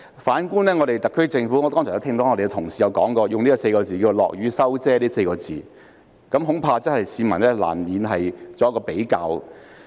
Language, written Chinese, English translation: Cantonese, 反觀特區政府，我剛才聽到同事用"落雨收遮"這4個字來形容，市民難免會作比較。, Contrarily I heard just now that colleagues used the expression recalling all the umbrellas on the rainy days to describe the SAR Government . It is unavoidable for the public to make a comparison